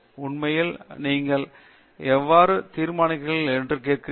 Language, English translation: Tamil, In fact, you are asking how do you judge